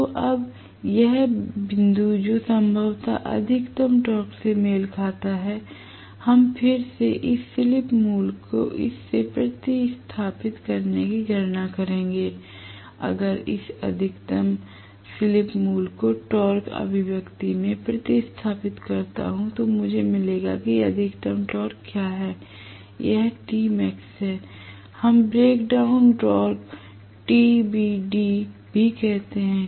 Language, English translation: Hindi, So, now this point which probably corresponds to the maximum torque right, that we will again calculate by substituting this slip value into this okay, if I substitute this maximum slip value into the torque expression I will get what is the maximum torque this is T max, we incidentally call that also as break down torque TBD